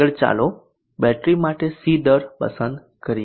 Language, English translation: Gujarati, Next let us select the C rate for the battery